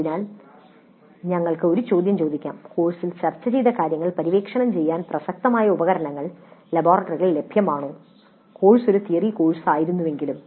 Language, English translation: Malayalam, So we can ask the question whether relevant tools are available in the laboratories to explore the material discussed in the course though the course was a theory course